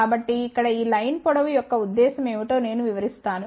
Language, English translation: Telugu, So, let me explain; what is the purpose of this line length over here